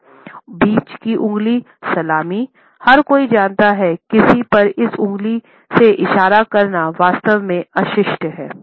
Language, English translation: Hindi, The middle finger salute, everybody knows that pointing this finger at somebody is really rude